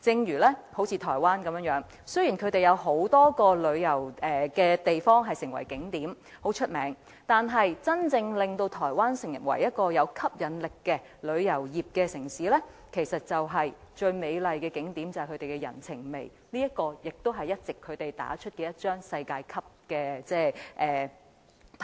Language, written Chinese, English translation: Cantonese, 以台灣為例，雖然有很多著名的旅遊景點，但真正令台灣成為一個具吸引力的旅遊地點的是其人情味，這才是台灣最美麗的景點，也是台灣一直打出來的一張世界級的牌。, In the case of Taiwan while there are many famous tourist attractions what truly makes it an attractive tourist destination is the humanity of its people . This is not only the most beautiful attraction of Taiwan but also a world - class trump card that Taiwan has been playing all along